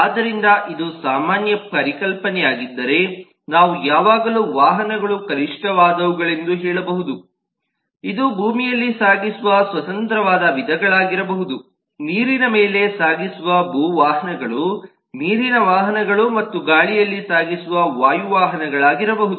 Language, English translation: Kannada, therefore, if this is the general concept, then we can always say that vehicles at least are of, can be of free types: that which transports on land, the land, vehicles which transports over water, water vehicles and which transports through air, air vehicles